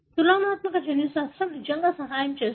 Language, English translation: Telugu, That is where the comparative genomics really help